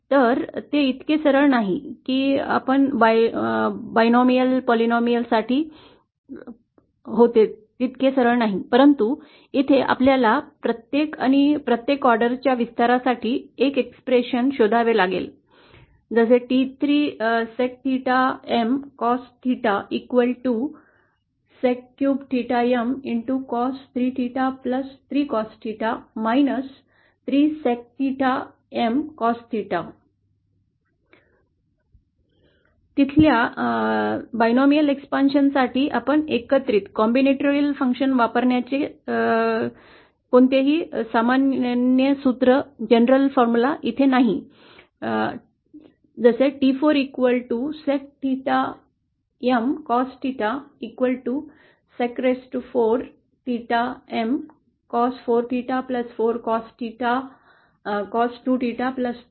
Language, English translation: Marathi, So it is not, so straightforward as that for the binomial, polynomial but here we have to find an expression for expansion for each and every order itself, there is no general formula using the combinatorial functions as we saw for the binomial expansion, the third T 4 sec theta M cos theta can be expanded like this